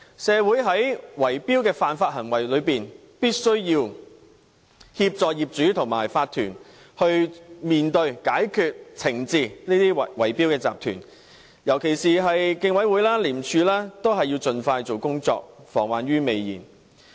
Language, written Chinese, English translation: Cantonese, 對於圍標的犯法行為，政府必須協助業主和法團面對和解決問題，以及懲治這些圍標集團，尤其是競委會及廉署，均須盡快進行工作，防患於未然。, To combat these unlawful bid - rigging activities the Government must assist owners and OCs to face up to and address the problem and also punish these bid - rigging syndicates . In particular the Competition Commission and ICAC must carry out work expeditiously and take preventive measures before any problem arises